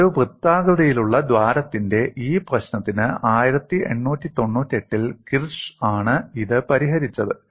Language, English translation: Malayalam, For this problem of a circular hole, it was kirsch in 1898, who solved it, and this is known as a Kirsch's problem